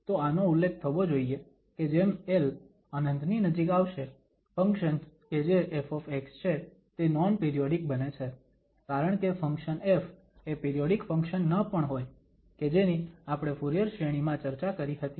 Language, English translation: Gujarati, So, it should be mentioned that as this l approaches to infinity, the function that is f x becomes non periodic because the function f may not be a periodic function, this is what we have discussed in the Fourier series